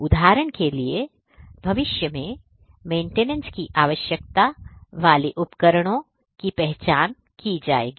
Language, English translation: Hindi, For example, the devices that need future maintenance would be identified